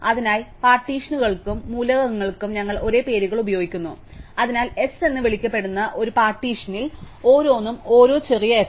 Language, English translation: Malayalam, So, we use the same names for the partitions and the elements, so each s in a partition called S each small s